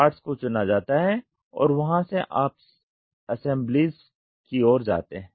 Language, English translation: Hindi, Parts are chosen and from there you go towards the assemblies